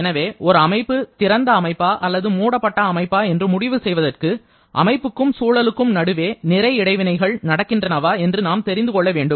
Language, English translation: Tamil, So, to decide a system where there is an open or closed, we just have to check whether there is a mass interaction between system or surrounding